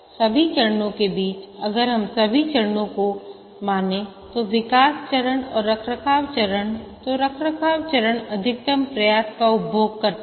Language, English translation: Hindi, Among all the phases, if we consider all the phases, the development phases and maintenance phase, then the maintenance phase consumes the maximum effort